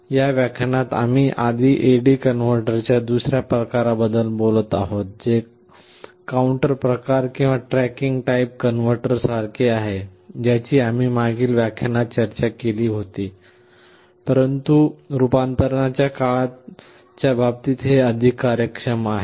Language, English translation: Marathi, In this lecture we shall be first talking about another kind of A/D converter, which is similar to counter type or tracking type converter that we discussed in the last lecture, but is much more efficient in terms of the conversion time